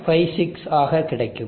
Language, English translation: Tamil, 56 or so